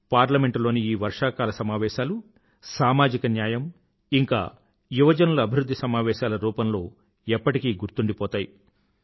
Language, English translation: Telugu, This Monsoon session of Parliament will always be remembered as a session for social justice and youth welfare